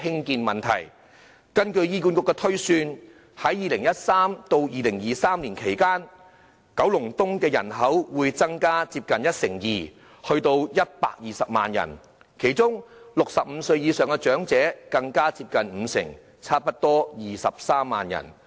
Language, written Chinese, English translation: Cantonese, 根據醫管局的推算 ，2013 年至2023年期間，九龍東的人口會增加接近一成二，達120萬人，其中65歲以上長者的增幅更接近五成，達到差不多23萬人。, According to HAs projections from 2013 to 2023 the population of Kowloon East will increase by nearly 12 % to 1.2 million in which elderly persons aged 65 and above will even increase by close to 50 % to almost 230 000